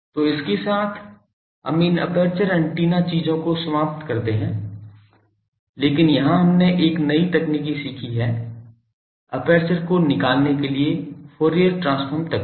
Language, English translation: Hindi, So, with that we conclude these aperture antenna things, but here we have learnt a new technique that Fourier transform technique for a finding aperture